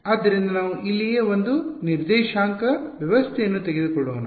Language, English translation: Kannada, So, let us take a coordinate system over here right